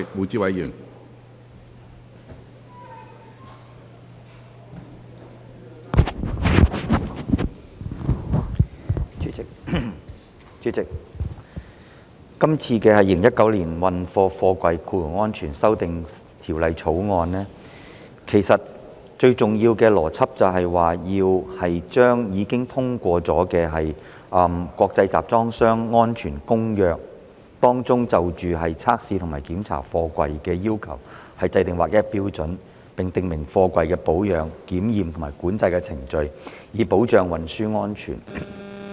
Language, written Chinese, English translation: Cantonese, 主席，其實這項《2019年運貨貨櫃條例草案》最重要的邏輯，是依據已通過的《國際集裝箱安全公約》，就測試及檢查貨櫃的要求，制訂劃一標準，並訂明貨櫃的保養、檢驗及管制程序，以保障運輸安全。, President actually the ultimate logic underlying the Freight Containers Safety Amendment Bill 2019 the Bill is to standardize the requirements for testing and inspecting containers as well as to prescribe the procedures of their maintenance examination and control for safe transportation in accordance with the ratified International Convention for Safe Containers